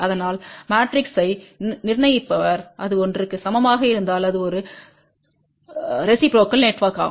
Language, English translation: Tamil, So, the determinant of the matrix if that is equal to one this is a reciprocal network